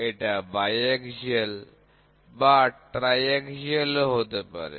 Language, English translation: Bengali, It can be in biaxial, it can also be in tri axial